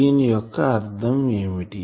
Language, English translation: Telugu, So, this means what